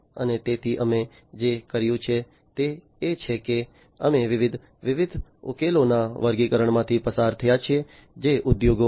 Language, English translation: Gujarati, And so what we have done is we have gone through an assortment of different, different solutions that are there in the industries